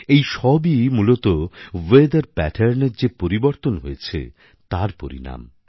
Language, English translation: Bengali, These calamities are basically the result of the change in weather patterns